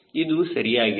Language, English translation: Kannada, this it is